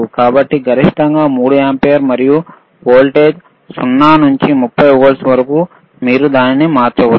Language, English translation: Telugu, So, maximum is 3 ampere and voltage from 0 to 30 volts you can change it